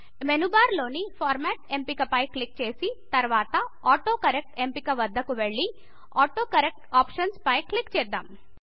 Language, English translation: Telugu, Now click on the Format option in the menu bar then go to the AutoCorrect option and then click on the AutoCorrect Options